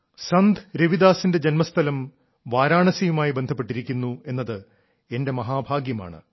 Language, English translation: Malayalam, It's my good fortune that I am connected with Varanasi, the birth place of Sant Ravidas ji